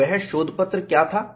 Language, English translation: Hindi, And, what was that paper